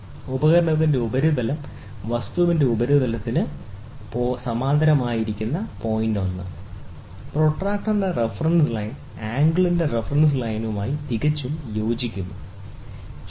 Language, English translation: Malayalam, The surface of the instrument should be parallel to the surface of the object, point number 1; and the reference line of the protractor should coincide perfectly with the reference line of the angle, ok